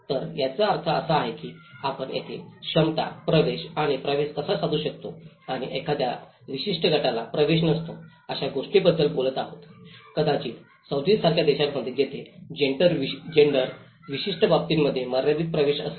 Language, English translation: Marathi, So which means we are talking here about the capacities, how one is able to access to the power and the access and maybe a certain group is not having an access, maybe in countries like Saudi where gender have a limited access to certain aspects